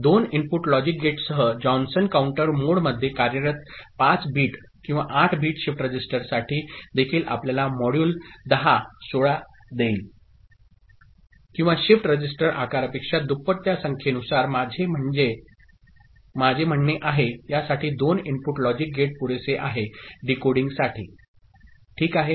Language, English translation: Marathi, With a two input logic gate, even for 5 bit or 8 bit shift register working in Johnson counter mode giving you modulo 10, 16 or whatever I mean depending on that number twice the shift register siz,e a 2 input logic gate is sufficient for decoding, ok